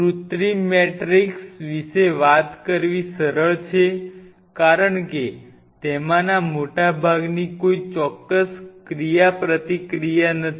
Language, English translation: Gujarati, So, talking about the synthetic matrix it is easy to talk about the synthetic matrix because most of them do not have any specific interaction such